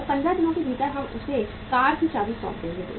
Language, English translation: Hindi, And within 15 days we will hand him over hand him over the keys of the car